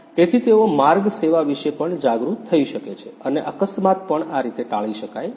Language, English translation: Gujarati, So, that they can be also aware about the road service and accident also can be avoided in this way